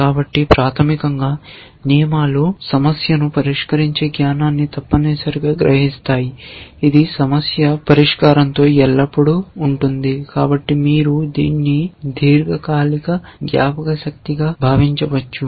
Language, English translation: Telugu, So, they, so, basically rules capture the problem solving solver knowledge essentially, which is always there with the problem solver so, you can think of it is long term memory